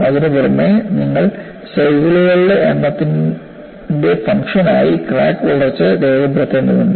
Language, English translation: Malayalam, Apart from that, you need to record crack growth as a function of number of cycles